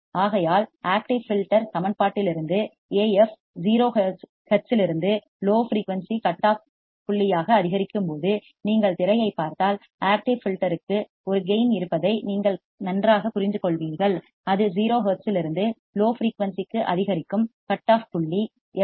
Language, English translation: Tamil, So, then from the active filter equation, we have found that as Af increases from 0 hertz to low frequency cutoff point, if you see the screen, then you will understand better that active filter has a gain Af that increases from 0 hertz to low frequency cutoff point fc at 20 decibels per decade